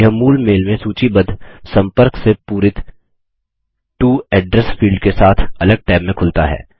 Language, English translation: Hindi, It opens in a separate tab, with the To address field filled with the contact listed in the original mail